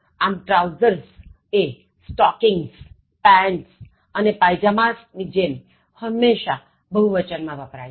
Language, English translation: Gujarati, So, trousers, like stockings, pants and pyjamas are always used in the plural form